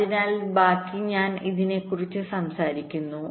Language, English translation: Malayalam, ok, so the rest, i am talking about this